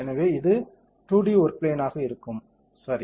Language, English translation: Tamil, So, this is will be a 2D work plane, ok